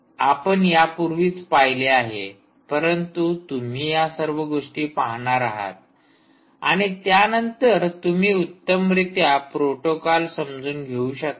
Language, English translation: Marathi, we have already seen this, but i want you to look up all these things, and then that will allow you to understand the protocol very well